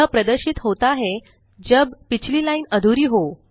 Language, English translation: Hindi, It appears when, the previous line is incomplete